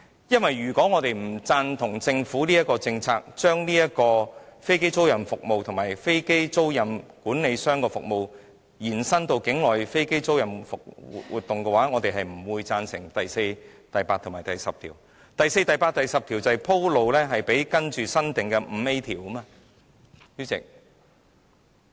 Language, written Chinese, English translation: Cantonese, 因為如果我們不贊同政府的政策，即把飛機租賃服務和飛機租賃管理服務延伸至境內飛機租賃活動，我們便不會贊成第4、8及10條，而第4、8及10條就是為接下來新訂的第 5A 條而鋪路的。, If we disagree with the Governments policy ie . to extend aircraft leasing services and aircraft leasing management services to onshore aircraft leasing activities we will oppose clauses 4 8 and 10; and clauses 4 8 and 10 pave the way for the new clause 5A